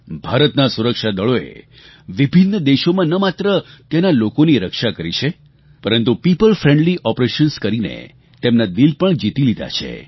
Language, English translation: Gujarati, Indian security forces have not only saved people in various countries but also won their hearts with their people friendly operations